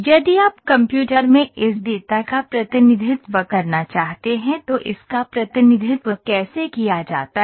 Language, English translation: Hindi, If you want to represent this data in computer this is how it is represented